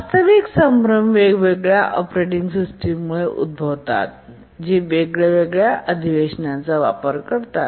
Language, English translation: Marathi, Actually the confusion arises because different operating systems they use different conventions